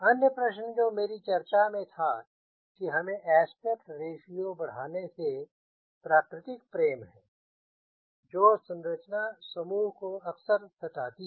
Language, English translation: Hindi, the other question which i was discussing: we have a natural love to increase aspect ratio, which often troubles the structure group